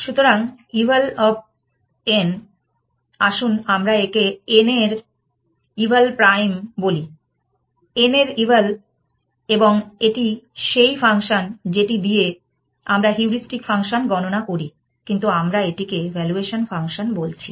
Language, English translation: Bengali, So, eval of n, let us call it eval prime of n is eval of n, which is the function that we are using to compute the heuristic function that we were calling, but the out, but we are calling it evaluation function